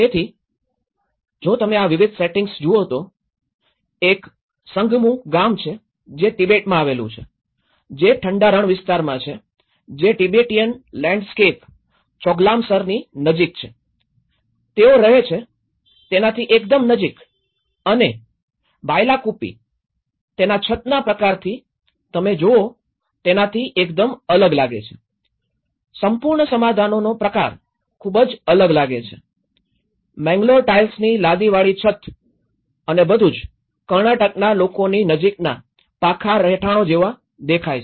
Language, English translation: Gujarati, So, if you look at these diverse settings; one is Sangmu village which is in Tibet which is in the cold desert area which is close to the Tibetan landscape Choglamsar as well that very much close to what they belong to and in Bylakuppe which is very much different from what you can see the kind of roofs, the kind of whole settlement looks very different, you know the tiled roofs which is a Mangalore tiles and everything which is close to what Karnataka people you know, the hard dwellings look like